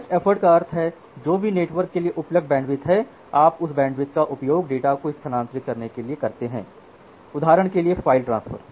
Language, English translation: Hindi, So, best effort means whatever is the available bandwidth now in the network you utilize that bandwidth for transferring the data for say file transfer